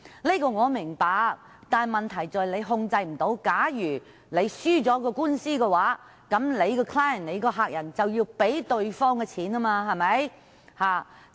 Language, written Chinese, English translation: Cantonese, 這點我明白，但問題在於他們無法控制如果輸掉官司的話，其客人便要支付對方的訴訟費用。, I understand this . However the problem is that they cannot control the result . If they lose the case the client has to pay the cost of the other party